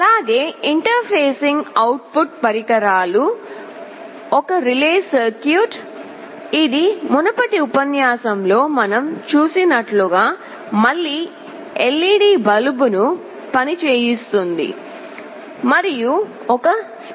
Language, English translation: Telugu, Now, the output devices that we shall be interfacing are one relay circuit that will again be driving a LED bulb as we have seen in the earlier lecture, and a speaker